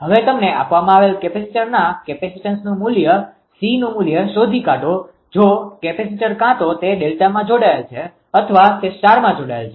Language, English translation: Gujarati, Now, if the capacitors that it is given you find out the value of capacitance c if the capacitor either it is delta connected or it is star connected right